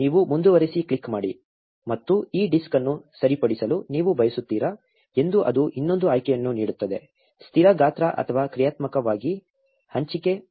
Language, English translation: Kannada, You click continue and it will give another option whether you want this disk to be fixed; fixed size or dynamically allocated